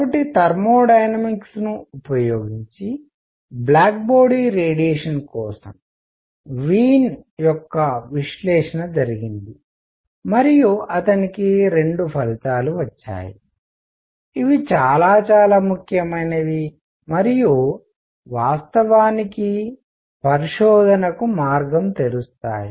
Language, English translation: Telugu, So, Wien’s analysis for the black body radiation was carried out using thermodynamics and he got 2 results which are very very important and that actually open the way for the research